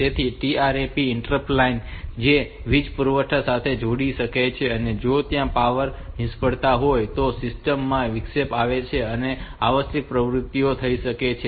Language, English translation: Gujarati, So, this trap interrupt line can be connected to the power supply from the power supply point and if there is a power failure then the system will get an interrupt and the essential activities can take place